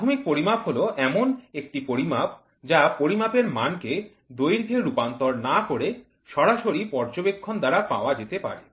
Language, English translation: Bengali, Primary measurement is one that can be made by direct observation without involving any conversion of the measured quantity into length